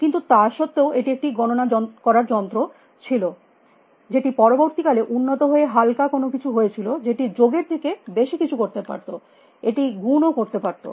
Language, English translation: Bengali, machine, which was set of improve later by lightness into something, which could do more than addition, it could do multiplication and so on